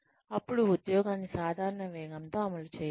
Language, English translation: Telugu, Then, run the job, at a normal pace